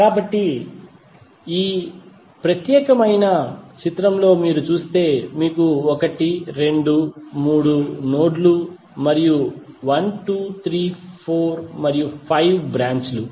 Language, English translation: Telugu, So in this particular figure if you see you will have 1, 2, 3 nodes and 1,2,3,4 and 5 branches